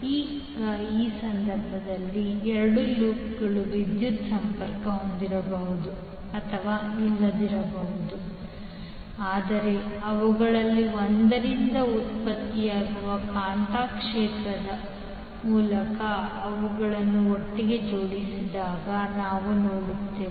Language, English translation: Kannada, Now in this case we will see when the two loops which may be or may not be connected electrically but they are coupled together through the magnetic field generated by one of them